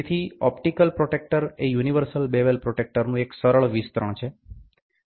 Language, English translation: Gujarati, So, optical protractor is a simple extension of the universal bevel protractor